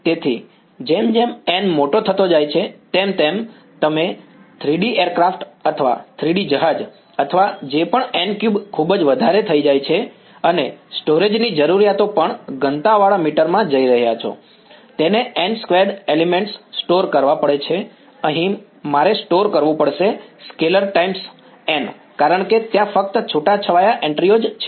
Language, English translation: Gujarati, So, as n becomes larger and larger you are going to a 3 D aircraft or 3 D ship or whatever n cube just becomes too much and the storage requirements also dense meter it has to store n squared elements, here I have to store like a scalar times n because only sparse entries are there right